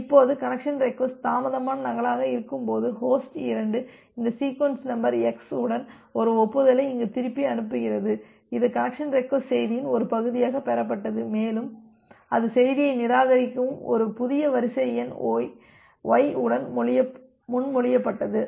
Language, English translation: Tamil, Now, when the connection request is a delayed duplicate and host 2 sends back an acknowledgement here with this sequence number x which it was received as a part of the connection request message and it proposed with a new sequence number y during that time it gets a reject message